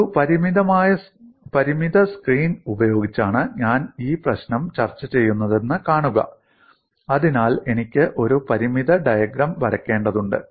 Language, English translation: Malayalam, See, I am discussing this problem using a finite screen, so I have to draw a finite diagram